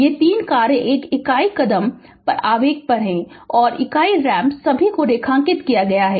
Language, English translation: Hindi, This 3 functions one is unit step the unit impulse and the unit ramp all are underlined right